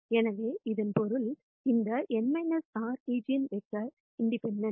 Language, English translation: Tamil, So, that means, these n minus r eigenvectors are also independent